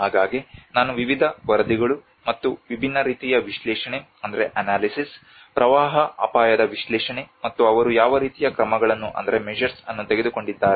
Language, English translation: Kannada, So I will go through a brief of various reports and very different kinds of analysis, the flood risk analysis and what kind of measures they have taken